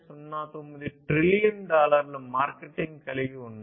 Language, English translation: Telugu, 09 trillion dollars